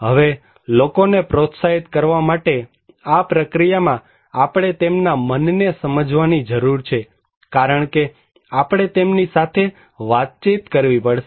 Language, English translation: Gujarati, Now, this process in order to encourage people, we need to understand their mind because we have to communicate with them